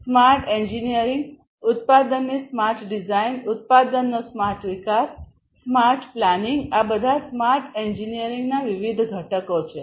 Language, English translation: Gujarati, Smart engineering, smart design of the product, smart development of the product, smart planning all of these are different constituents of smart engineering